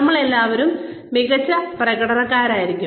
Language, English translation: Malayalam, All of us may be excellent performers